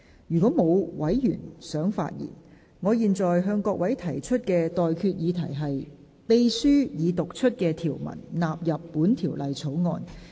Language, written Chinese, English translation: Cantonese, 如果沒有委員想發言，我現在向各位提出的待決議題是：秘書已讀出的條文納入本條例草案。, If no Member wishes to speak I now put the question to you and that is That the clauses read out by the Clerk stand part of the Bill